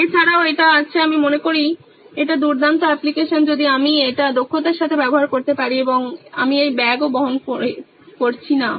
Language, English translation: Bengali, Also there is this I think this is great app if I can use it efficiently plus I won’t be able to carry this bag